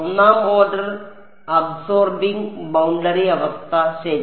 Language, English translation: Malayalam, 1st order absorbing boundary condition ok